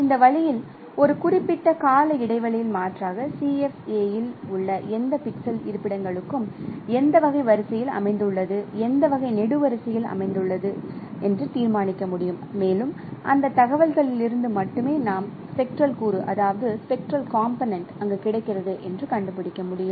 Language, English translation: Tamil, So, in this way in an alternate, in a periodic fashion we can determine for any pixel locations in the CFA in which type of row it is lying and which type of column it is lying and from that information itself we can find out that which spectral component is available there